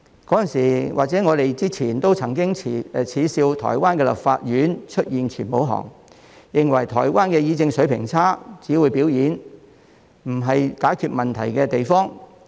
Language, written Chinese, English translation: Cantonese, 在此之前，我們曾經耻笑台灣的立法院出現全武行，認為台灣的議政水平差，只會表演，不是解決問題的地方。, We used to mock the scuffles in the Legislative Yuan of Taiwan and criticized that the standards of policy discussion in Taiwan was rather poor as Taiwans lawmakers only knew how to put on a show and its legislative body was not aimed at solving problems